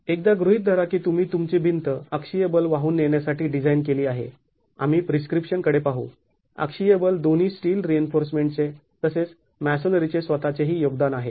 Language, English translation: Marathi, Once assume you have designed your wall to carry axial forces, we looked at the prescription axial forces, both the steel reinforcement has a contribution as well as the masonry itself